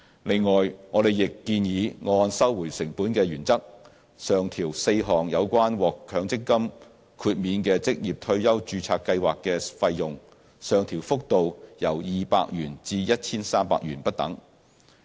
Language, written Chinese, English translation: Cantonese, 此外，我們亦建議按收回成本的原則，上調4項有關獲強積金豁免的職業退休註冊計劃的費用，上調幅度由200元至 1,300 元不等。, Besides we propose to raise four fees relating to MPF exempted ORSO registered schemes according to the cost - recovery principle with increases ranging from 200 to 1,300